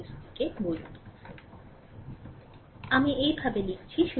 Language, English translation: Bengali, So, suppose I have written like this